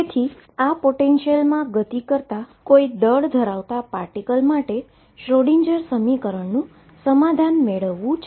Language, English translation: Gujarati, So, this is the finite box and you want to solve the Schrodinger equation for a particle of mass move m moving in this potential